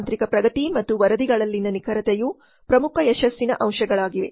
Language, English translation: Kannada, Technological advancement and accuracy in the reports are the key success factors